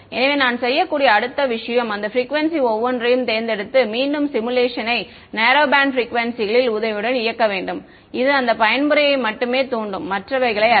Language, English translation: Tamil, And so, the next thing I could do is pick each one of those frequencies and re run the simulation with the narrow band at those frequencies that will excide only that mode and not the others right